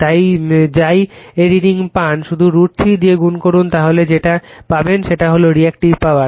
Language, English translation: Bengali, So, whatever reading you get you just multiplied by root 3 you will get your what you call that your Reactive Power right